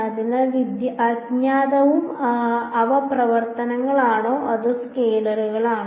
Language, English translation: Malayalam, So, unknown and are they functions or just scalars